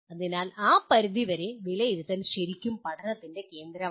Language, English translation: Malayalam, So to that extent assessment is really central to learning